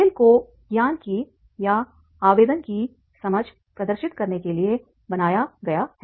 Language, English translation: Hindi, The game is designed to demonstrate an understanding of an application of a knowledge